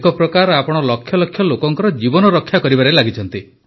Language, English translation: Odia, In a way, you are engaged in saving the lives of lakhs of people